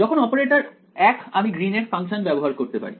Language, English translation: Bengali, When the operator is same I can use the Green’s function ok